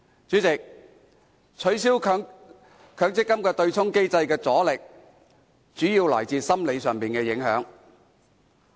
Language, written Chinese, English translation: Cantonese, 主席，取消強積金對沖機制的阻力，主要來自心理上的影響。, President the obstacle to abolish the MPF offsetting mechanism is mainly psychological